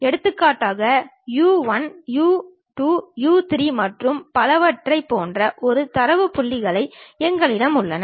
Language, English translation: Tamil, For example, we have a data points something like u 1, u 2, u 3 and so on